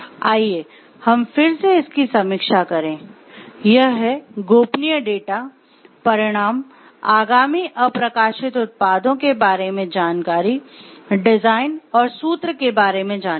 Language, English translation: Hindi, It is the confidential data, it is results information about upcoming unreleased products, information about designs and formula